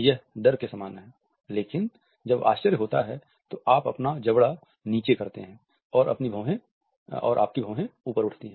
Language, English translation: Hindi, So, very similar to fear, but surprises when you drop your mouth down and your eyebrows raise